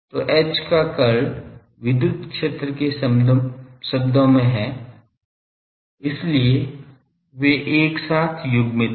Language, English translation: Hindi, So, curl of H is in terms of the electric field so they are coupled together